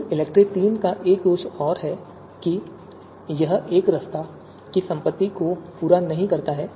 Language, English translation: Hindi, Then the another drawback of ELECTRE third is that it does not fulfil the property of monotonicity